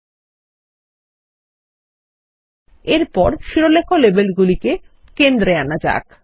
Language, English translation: Bengali, ltpausegt Next, let us centre the Header labels